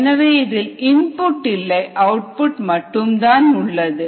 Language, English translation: Tamil, there is no input, there is no output, there is no ah